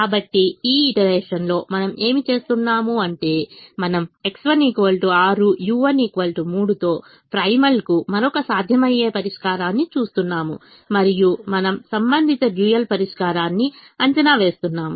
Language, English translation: Telugu, so again, what we do in this iteration is we are looking at another feasible solution to the primal with x one equal to six, u one equal to three and we are evaluating the corresponding dual solution